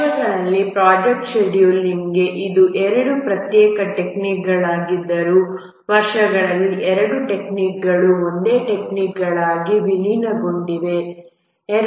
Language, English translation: Kannada, Over the years, even though these were two very separate techniques for project scheduling, but over the years both the techniques have merged into a single technique